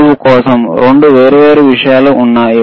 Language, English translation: Telugu, For the vertical, there are 2 different things